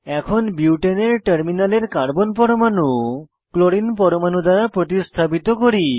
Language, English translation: Bengali, Lets replace the terminal Carbon atoms in Butane structure with Chlorine atoms